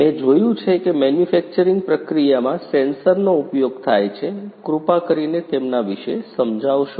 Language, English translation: Gujarati, I have seen sensors are used in the manufacturing process, please explain about them